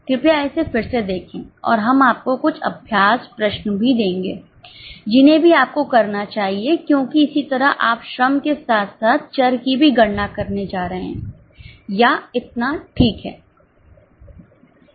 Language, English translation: Hindi, Please see it again and we will also be giving you some practice questions that also you should try because similarly you are going to calculate for labour as well as variable orates